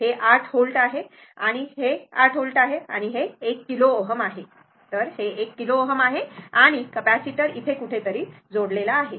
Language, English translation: Marathi, This is 8 volt, right and this is your this is 8 volt and this is your 1 kilo ohm, this is kilo ohm 1 kilo ohm and capacitor is connected somewhere here